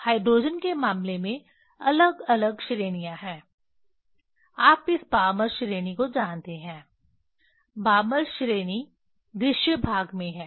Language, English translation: Hindi, In case of hydrogen there are different series, you know this Balmer series in the; in the Balmer series is in the visible range